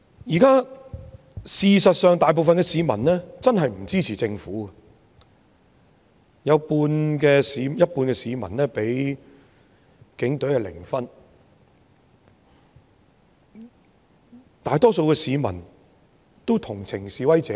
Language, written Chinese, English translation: Cantonese, 事實上，現在大部分市民的確不支持政府，有半數市民給警隊的評分是零，大多數市民都同情示威者。, Indeed it is true that the majority of people are unsupportive of the Government . Half of the people gave the Police a zero mark and the majority of people are sympathetic towards the protesters